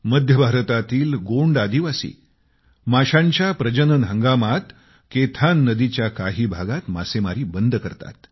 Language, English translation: Marathi, The Gond tribes in Central Indai stop fishing in some parts of Kaithan river during the breeding season